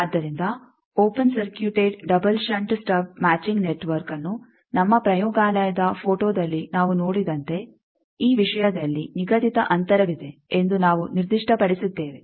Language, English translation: Kannada, So, open circuited double shunt stub matching network, we have specified that this thing as we have seen in our laboratory photo that there is a fixed distance